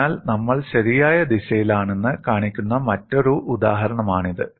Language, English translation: Malayalam, So, this is another example which shows we are on the right direction